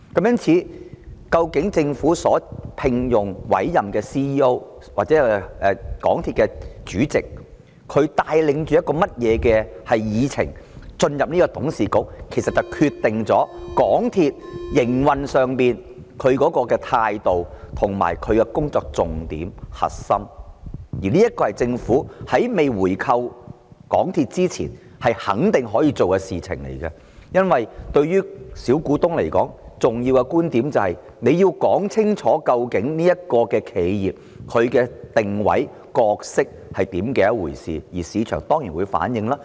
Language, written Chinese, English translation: Cantonese, 因此，究竟政府所聘用或委任的 CEO 或港鐵公司的主席是帶着甚麼議程進入董事局，其實便決定了港鐵公司在營運上的態度和工作重點及核心，而這是政府在未回購港鐵公司前肯定可以做的事情，因為對於小股東而言，重要的是政府要說清楚究竟這間企業的定位和角色是甚麼，這在市場上當然會反映出來。, Therefore the attitude of MTRCL as well as the focus and core of its operation actually depend on the agenda items presented before the Board by the CEO or Chairman of MTRCL hired or appointed by the Government and this is definitely what the Government can do before buying back MTRCL . It is because to the small shareholders what matters is that the Government makes clear the position and role of this corporation which will certainly be reflected in the market